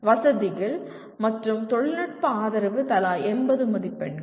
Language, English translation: Tamil, Facilities and technical support 80 marks each